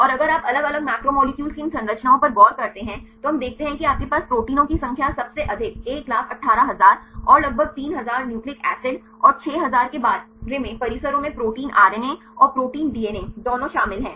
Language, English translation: Hindi, And if you look into these structures of the different macromolecules we see proteins you can have the highest number of structures 118,000 and about 3000 nucleic acids and the complexes about 6000 this includes both protein RNA and protein DNA complexes